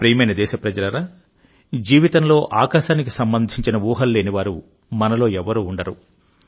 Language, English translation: Telugu, My dear countrymen, there is hardly any of us who, in one's life, has not had fantasies pertaining to the sky